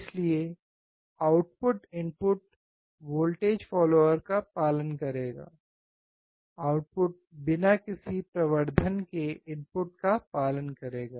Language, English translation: Hindi, So, output will follow the input voltage follower, output will follow the input without any amplification